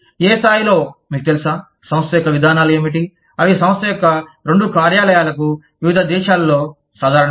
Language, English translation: Telugu, On what level are, you know, what are the policies of the organization, that are common to, both the offices of the organization, in different countries